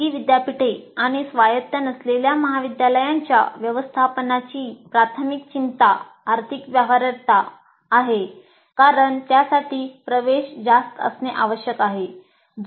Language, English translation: Marathi, Now, management of private universities and non autonomous colleges have their primary concern as a financial viability which requires admission should be high